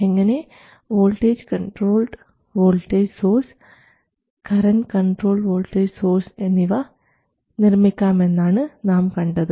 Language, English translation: Malayalam, We have also discussed how to implement the voltage control voltage source and the current control voltage source using an op amp